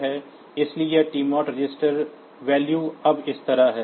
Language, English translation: Hindi, So, this TMOD register value is like this now